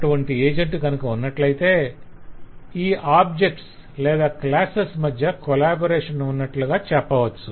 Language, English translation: Telugu, if such an agent exist then we will say that there is a collaboration between these objects or these classes